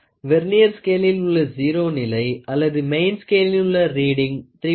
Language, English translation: Tamil, The position of the zero of the Vernier scale or on the main scale reading is 3